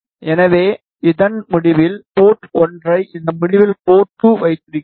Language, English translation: Tamil, So, you have port 1 at this end port 2 at this end